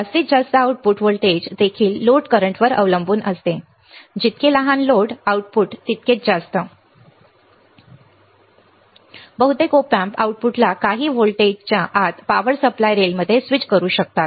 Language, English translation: Marathi, The maximum output voltage also depends on the load current right, the smaller the load the output can go higher with a larger load right, most of the Op Amps can swing output to within a few volts to power supply rails